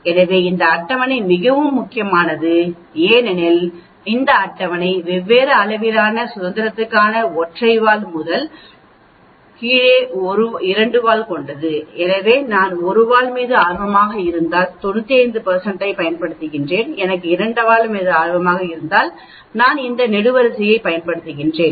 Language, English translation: Tamil, So this table is very important as we can see this table gives you for different degrees of freedom the top 1 for single tail, the bottom 1 is for two tail, So if I am interested in a single tail I will use 95 % this column, if I am interested in two tail 95 % I use this column